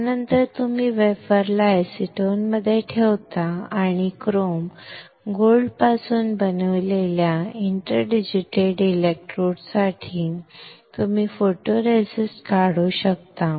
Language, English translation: Marathi, After this you place the wafer in acetone and you can remove the photoresist to obtain for interdigitated electrodes made from chrome gold